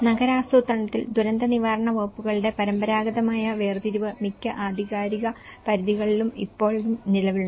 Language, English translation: Malayalam, Traditional separation of the departments of disaster management in urban planning is still prevalent in most jurisdictions